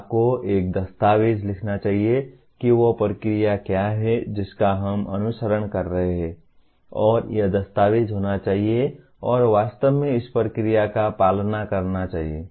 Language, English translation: Hindi, You should write a document on what is the process that we are following and it should be documented and actually follow the process